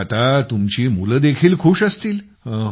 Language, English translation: Marathi, So now even the children must be happy